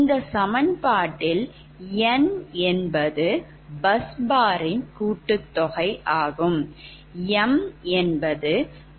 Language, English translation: Tamil, so in this equation, n is the total number of bus bars